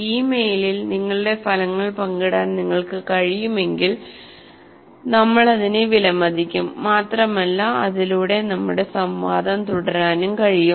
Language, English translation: Malayalam, And we would, if you can share your results on this mail, we would appreciate and possibly we can also continue our interaction through that